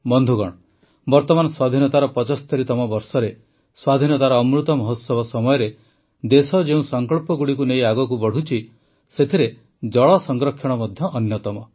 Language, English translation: Odia, Friends, at this time in the 75th year of independence, in the Azadi Ka Amrit Mahotsav, water conservation is one of the resolves with which the country is moving forward